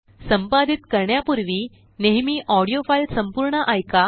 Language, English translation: Marathi, Before editing, always listen to the whole audio file